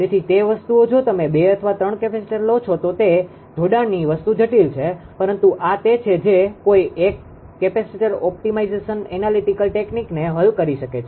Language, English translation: Gujarati, So, those things ah if you take 2 or 3 capacitors peaks which combination those things are complicated, but this is what one can ah solve the capacitor optimization analytical technique